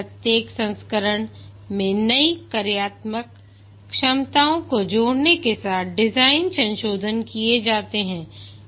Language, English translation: Hindi, At each version design, modifications are made along with adding new functional capabilities